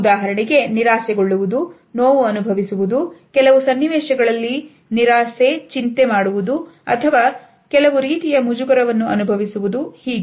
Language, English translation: Kannada, For example, of being frustrated, feeling hurt, being disappointed in certain situation, feeling worried or feeling some type of an embarrassment